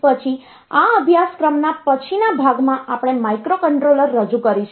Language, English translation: Gujarati, Then in the later part of this course we will introduce microcontroller